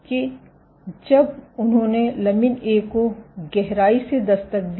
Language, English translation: Hindi, That when they did a deep knockdown of lamin A